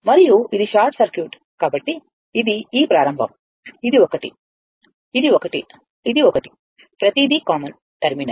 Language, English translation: Telugu, And as it is a short circuit, means this is this start this one, this one, this one, this one, everything is a common terminal